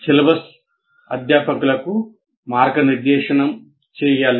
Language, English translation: Telugu, So the syllabus should guide the faculty